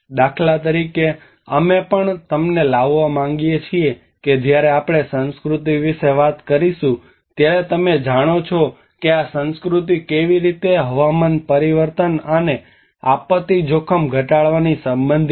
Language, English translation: Gujarati, Like for instance, we are also I want to bring you that when we talk about culture you know how this culture is related to climate change and disaster risk reduction